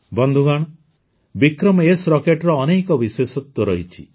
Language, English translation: Odia, Friends, 'VikramS' Rocket is equipped with many features